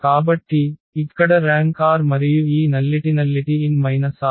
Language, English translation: Telugu, So, here the rank is r and this nullity is n minus r